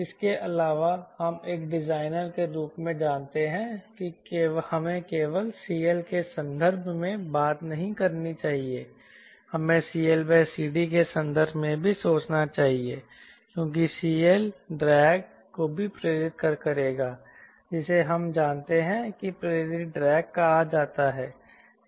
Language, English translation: Hindi, also, we know, as a designer, we should not only thing in terms of c l, it should thing in terms of c l by c d, because c l will also induce drag, which we know is called induced drag